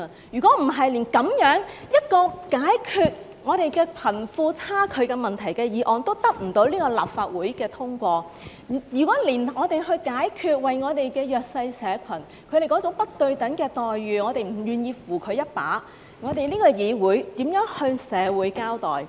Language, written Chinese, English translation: Cantonese, 如果連這樣一項解決貧富差距問題的議案都得不到立法會通過，如果我們連弱勢社群面對那種不對等的待遇，我們也不願意扶他們一把，這個議會如何向社會交代？, If we do not even endorse in this Council a motion on resolving the disparity between the rich and the poor and if we are not even willing to help the disadvantaged to counter these inequalities how could this Council be accountable to the community?